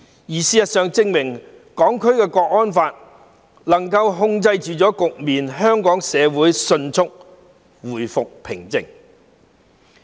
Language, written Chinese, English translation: Cantonese, 事實證明，《香港國安法》能夠控制局面，令香港社會迅速回復平靜。, The Hong Kong National Security Law has proved to be able to bring the situations under control and quickly restore calm to the Hong Kong society